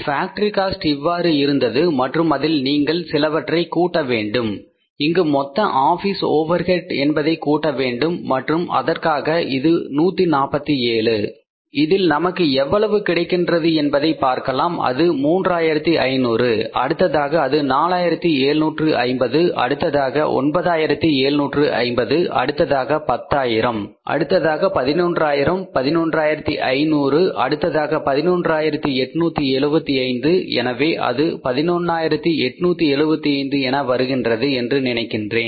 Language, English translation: Tamil, This was the factory cost and in this you have to add something like you have to have to add here that is the the total office overheads and for this this is 1 4 7, 7 in this let's see how much it works out as it is 3,000, 3,500 then it is the 4,000 750 then 9,750 then it is 10, 11, 11, 1,500s then it is the 11,800 and this amount is 75